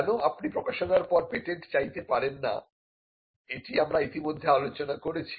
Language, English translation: Bengali, So, you cannot publish first and then patent because, we are already covered this